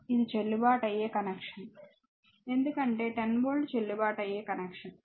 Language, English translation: Telugu, So, this is a valid connection right because 10 volt 10 volt valid connection